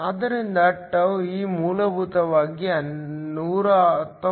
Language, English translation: Kannada, So, τe is essentially 119